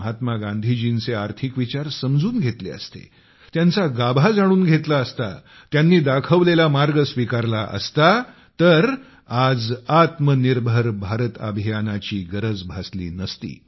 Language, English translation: Marathi, The economic principles of Mahatma Gandhi, if we would have been able to understand their spirit, grasp it and practically implement them, then the Aatmanirbhar Bharat Abhiyaan would not have been needed today